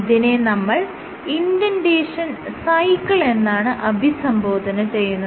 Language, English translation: Malayalam, So, this is called the indentation cycle